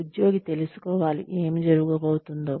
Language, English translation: Telugu, The employee should know, what is coming